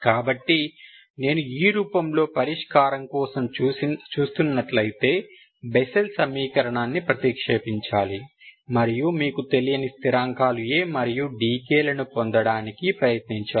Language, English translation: Telugu, So if I look for solution in this form, substitute the Bessel equation and try to get your unknown constants A and d k, Ok